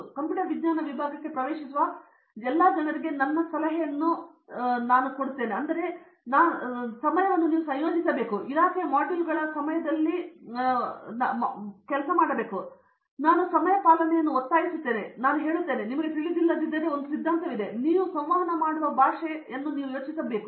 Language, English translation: Kannada, My suggestion to all people who are entering computer science department in general which I been coordinating the same research methodology course quite some time before and I insist during the department modules and I tell now, there is one theory like if you don’t know the language in which you can communicate you can think, you cannot even think